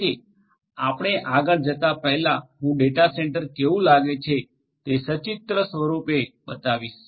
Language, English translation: Gujarati, So, before we go any further let me just show you pictorially how a data centre looks like